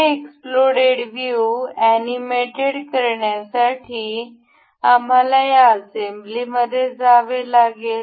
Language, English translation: Marathi, To animate this explode view, we will have to go this assembly